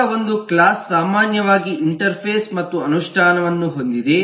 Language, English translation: Kannada, now a class typically has an interface and an implementation